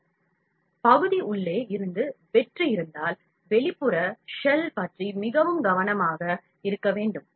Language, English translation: Tamil, So, if the part is hollow from inside, then we have to be very careful about the outer shell